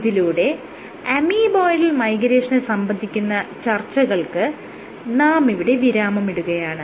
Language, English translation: Malayalam, So, with that I end our discussion on amoeboidal migration